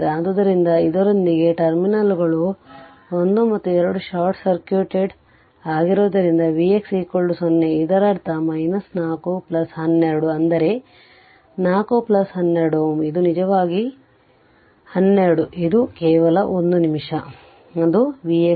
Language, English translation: Kannada, So, with this if you your as the terminals 1 2 short circuited V x is 0, this means your 4 plus 12 ohm that is 4 plus 12 ohm is equal to it is actually that is 12 is equal to it is just 1 minute, it is your V x is 0